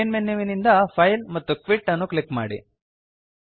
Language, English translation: Kannada, From the Main menu, click File and Quit